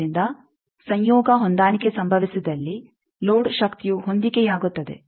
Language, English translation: Kannada, So, if conjugate matching occurs; load power at match